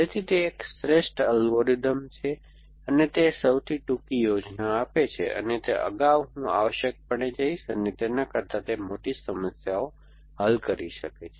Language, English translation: Gujarati, So, it is an optimal algorithm and it gives to the shortest plan and it can solve must larger problems than the earlier I will go to essentially